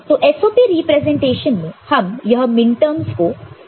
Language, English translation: Hindi, So, we write in SOP this in the minterm with representation